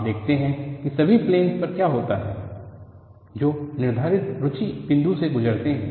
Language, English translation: Hindi, So, you look at what happens on all the planes that passes through the point of interest